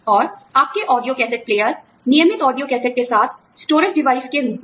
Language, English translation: Hindi, And, your audio cassette player, with regular audiocassettes, as the storage device